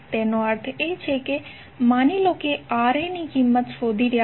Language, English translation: Gujarati, That means suppose you are going to find out the value of Ra